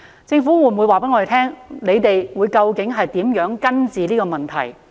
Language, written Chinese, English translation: Cantonese, 政府會否告訴我們，究竟如何根治這個問題？, Will the Government tell us how to tackle this problem once and for all?